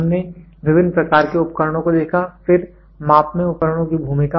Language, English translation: Hindi, We saw various types of instruments, then the role of instruments in measurements